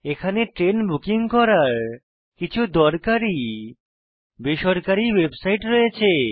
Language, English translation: Bengali, There are some useful private website for train booking